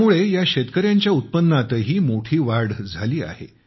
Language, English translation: Marathi, This has also enhanced the income of these farmers a lot